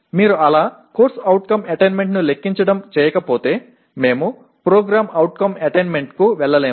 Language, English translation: Telugu, Unless you do the, compute the CO attainment we cannot move to PO attainment